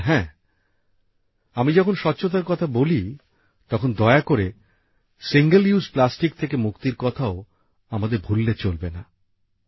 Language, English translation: Bengali, And yes, when I talk about cleanliness, then please do not forget the mantra of getting rid of Single Use Plastic